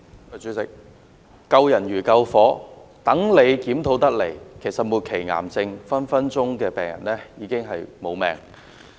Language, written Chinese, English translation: Cantonese, 主席，所謂"救人如救火"，待政府的檢討得出結果，末期癌症病人已經喪命。, President as the saying goes saving lives is as urgent as putting out a fire . By the time there is an outcome of the Governments review cancer patients will be dead